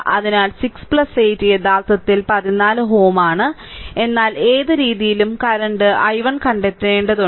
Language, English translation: Malayalam, So, 6 plus 8 is actually 14 ohm, but any way you have to find out the current i 1